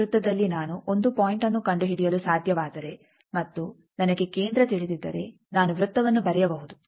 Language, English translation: Kannada, In a circle if I can find out 1 point and if I know the centre I can draw the circle